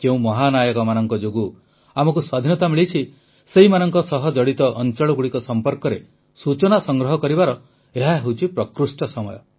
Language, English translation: Odia, In this context, this is an excellent time to explore places associated with those heroes on account of whom we attained Freedom